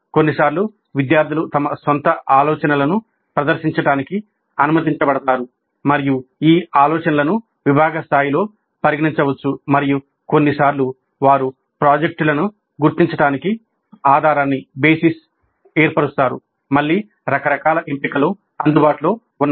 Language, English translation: Telugu, Sometimes students are allowed to present their own ideas and these ideas can be considered at the department level and sometimes they will form the basis for identifying the projects